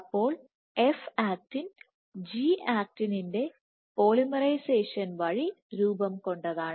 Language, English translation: Malayalam, So, F actin is just a formed by polymerization of G actin